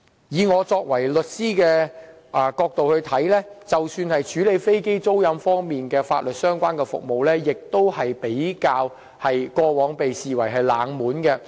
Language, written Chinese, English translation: Cantonese, 以我作為律師的角度來看，即使是處理飛機租賃方面的法律相關服務，過往亦被視為冷門行業。, Speaking from my point of view as a lawyer the provision of legal services related to the handling of aircraft leasing was never popular in the past and rarely was there any dedicated law firms to provide legal services in this respect